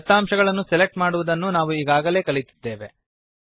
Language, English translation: Kannada, We have already learnt how to select data